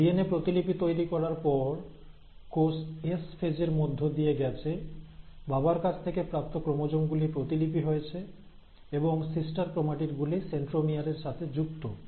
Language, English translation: Bengali, Now after the process of DNA replication has happened, the cell has undergone the S phase, this chromosome that we had received from our father got duplicated and you had the sister chromatid form which is now attached with the centromere